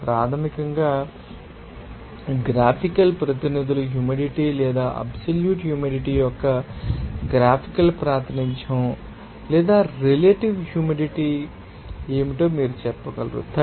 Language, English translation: Telugu, This is basically that graphical representers graphical representation of moisture content or absolute humidity or you can say that what will be the relative humidity